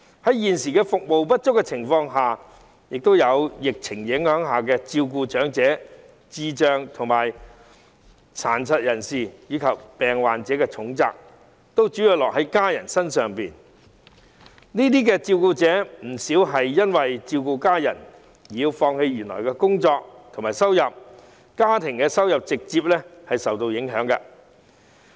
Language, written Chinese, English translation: Cantonese, 在現時服務不足及疫情影響下，照顧長者、智障人士、殘疾人士及病患者的重責，主要落在家人身上，而不少照顧者更因為照顧家人而要放棄原來的工作，令家庭收入直接受到影響。, At present due to a shortage of services and the impact of the epidemic the heavy responsibility of caring for the elderly the mentally handicapped the disabled and the sick lies mainly on their family members . Many carers even have to give up their jobs to take care of their family members thus directly affecting the income of the family . The Government should not neglect the needs of these carers